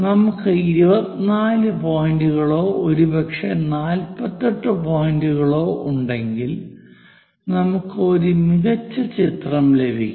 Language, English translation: Malayalam, If we have 24 points or perhaps 48 points, we get better picture